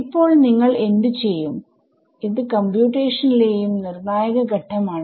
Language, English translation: Malayalam, So, what would you do now very critical step in a any computation